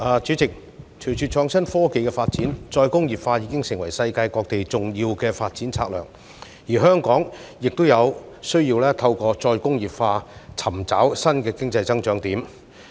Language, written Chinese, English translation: Cantonese, 主席，隨着創新科技的發展，再工業化已經成為世界各地重要的發展策略，而香港亦有需要透過再工業化，尋找新的經濟增長點。, President with the development of innovation and technology IT re - industrialization has become an important development strategy around the world . Hong Kong also needs to explore new points of economic growth through re - industrialization